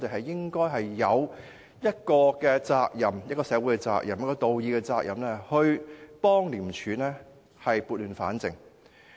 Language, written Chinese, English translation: Cantonese, 正因如此，我們有社會責任和道義責任幫助廉署撥亂反正。, Precisely for this reason we have the social responsibility and moral obligation to help ICAC right the wrong